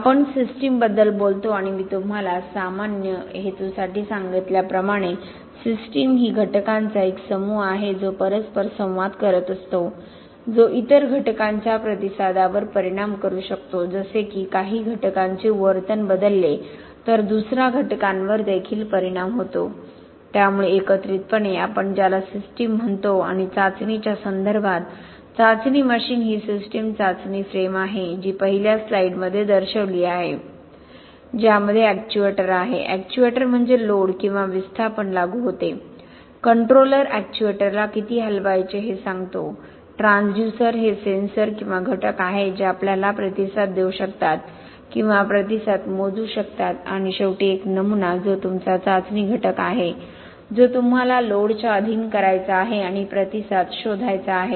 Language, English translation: Marathi, We talk about systems and as I told you for the general purpose, a system is a group of elements which are interacting, which can affect the response of the other elements like if some the behaviour of one element changes, then the other elements also are affected, so that together is what we call a system and in terms of testing, testing machine the system is the test frame, I showed it to you in the first slide having the actuator, actuator is what applies load or displacement, the controller which tells the actuator how much to move, transducers are sensors or elements that can give us the response, measure the response and of course this specimen which is your test element, what you want to subject to the loads that you want and find out what the response is